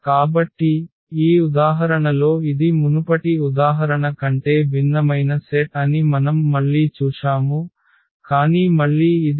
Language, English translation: Telugu, So, again we have seen in this example that this was a different set here from than the earlier example, but again this is also a spanning set of this R 3